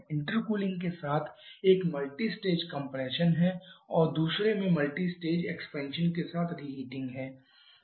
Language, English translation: Hindi, One is multistage compression with intercooling and other is multistage expansion with reheating